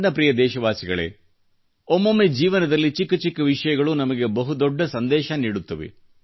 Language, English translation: Kannada, My dear countrymen, there are times when mundane things in life enrich us with a great message